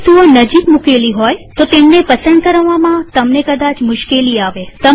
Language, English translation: Gujarati, If some objects are closely placed, you may have difficulty in choosing them